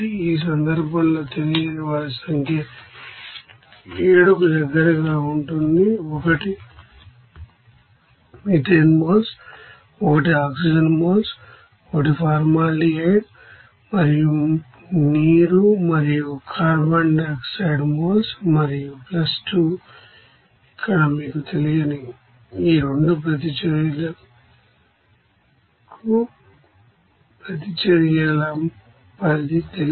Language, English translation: Telugu, So in this case number of unknowns will be close to 7, one is methane moles, one is oxygen moles, one is formaldehyde and water and carbon dioxide moles like this and + 2 here unknowns for you know extent of reactions for this 2 reaction